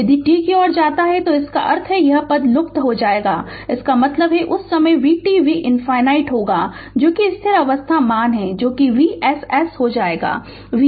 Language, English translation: Hindi, If you if t tends to infinity that means this term will vanish; that means, at that time V t will be V infinity that is your steady state value that is your V s s will become your V s this value right